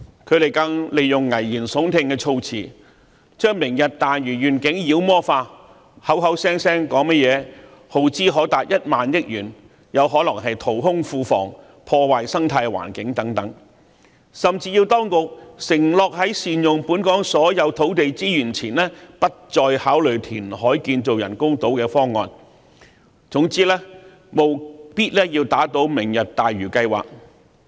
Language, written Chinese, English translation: Cantonese, 他們更利用危言聳聽的措辭，將"明日大嶼願景"妖魔化，口口聲聲說甚麼耗資可達1萬億元，有可能淘空庫房，破壞生態環境等，甚至要當局承諾在善用本港所有土地資源前，不再考慮填海建造人工島的方案，總之務必要打倒"明日大嶼"計劃。, On top of that they used alarmist remarks to demonize the Lantau Tomorrow Vision claiming that the project may cost as much as 1,000 billion thus hollowing out the coffers and harm the ecological environment . They even went so far as to demand the Administration to shelve the reclamation programme of building artificial islands before all land resources in Hong Kong are fully utilized . In sum they want nothing but knocking down the Lantau Tomorrow programme